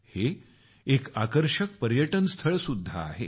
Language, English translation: Marathi, It is an attractive tourist destination too